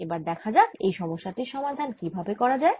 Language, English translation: Bengali, so let us see how do we solve this problem